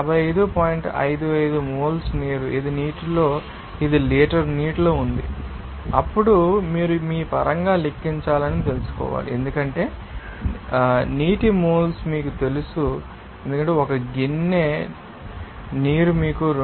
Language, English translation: Telugu, 55 moles of water this is in liter of water then you have to you know calculate in terms of you know moles of water because 1 bowl of water is equivalent to 22